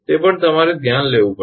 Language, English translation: Gujarati, that also you have to consider